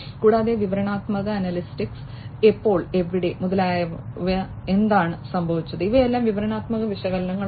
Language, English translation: Malayalam, And descriptive analytics is when, where, etcetera what happened, these are all descriptive analytics